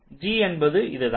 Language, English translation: Tamil, this is what g is